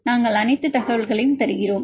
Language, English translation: Tamil, So, we give all the information